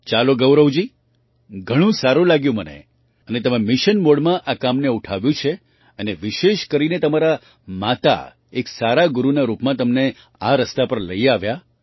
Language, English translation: Gujarati, Well Gaurav ji, it is very nice that you and I have taken up this work in mission mode and especially your mother took you on this path as a good guru